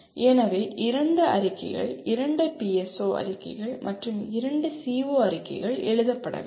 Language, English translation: Tamil, So two statements, two PSO statements and two CO statements have to be written